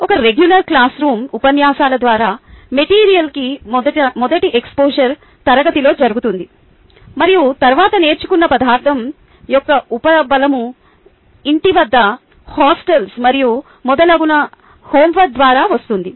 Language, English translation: Telugu, its something like this: in a regular classroom, the first exposure to the material through lectures happens in class, and then the reinforcement of the material that is learnt comes through homework, which is done at home, on the hostels and so on, so forth